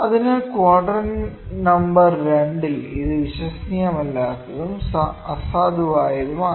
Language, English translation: Malayalam, So, in quadrant number 2, it is unreliable and un valid